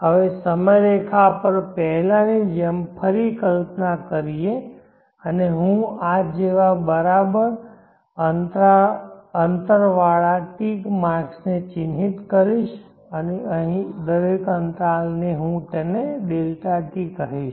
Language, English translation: Gujarati, Now let us visualize again like before on a timeline and I will mark equates ticks marks like this and each interval here is what I will call